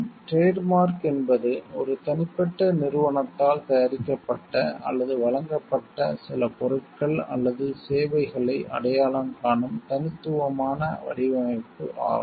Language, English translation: Tamil, A trademark is the distinctive design which identifies certain goods or services produced or provided by an individual company